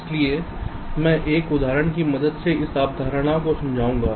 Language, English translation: Hindi, so i shall be explaining this concept with the help of an example